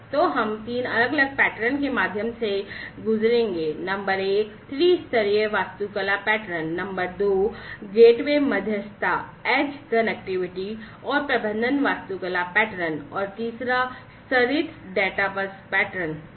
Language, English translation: Hindi, So, we will go through three different patterns, number one is the three tier architecture pattern, number two is the gateway mediated edge connectivity, and management architecture pattern, and third is the layered data bus pattern